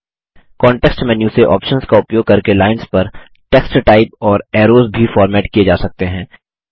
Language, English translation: Hindi, Text typed on lines and arrows can also be formatted using options from the context menu